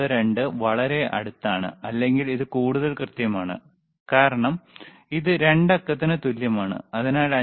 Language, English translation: Malayalam, 92 are extremely close or or this is more accurate, because this is like 2 digit we can see further after right so, so 5